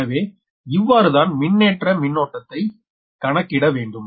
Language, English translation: Tamil, so this is how to calculate the charging current right now